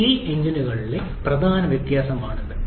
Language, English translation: Malayalam, That is a major difference in CI engines